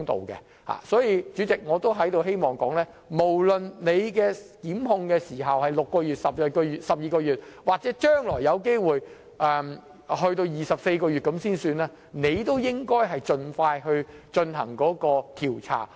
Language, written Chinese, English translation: Cantonese, 因此，主席，我希望說的是無論檢控時限是6個月、12個月或將來有機會延長至24個月，執法機關亦應盡快進行調查。, Hence Chairman what I wish to say is that no matter whether the time limit for prosecution is 6 months 12 months or 24 months given the possible extension in the future law enforcement agencies should conduct investigations as soon as possible